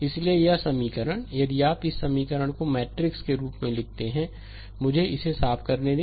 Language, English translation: Hindi, So, this equation, if an if you put this equation in the matrix form, let me clean it